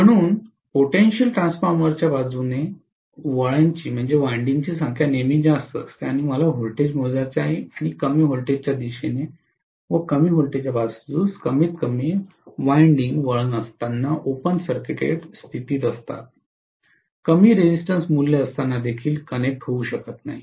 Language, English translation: Marathi, So potential transformer will always have higher number of turn’s towards the side from which I want to measure the voltage and much lower number of turns towards the other low voltage side and low voltage side invariably will be open circuited, it cannot be connected even with the smaller value of resistance